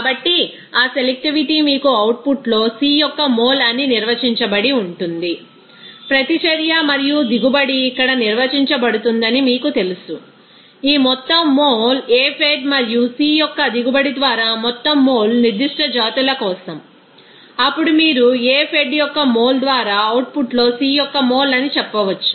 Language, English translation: Telugu, So, that selectivity will be you know defined as mole of C in output by mole of E in output as far you know that reaction and yield will be defined as here, this total mole of products by total mole of A fed and yield of C for particular species, then you can say that mole of C in output by mole of A fed